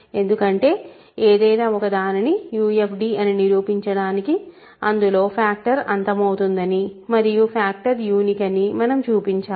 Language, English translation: Telugu, Because to prove that something is a UFD, we need to show that factoring terminates and factoring is unique